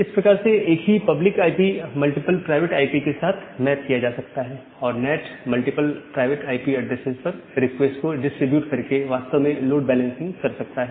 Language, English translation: Hindi, So, that way the same public IP is mapped to multiple private IP and the NAT can do actually the load balancing by distributing the requests to the multiple private IP addresses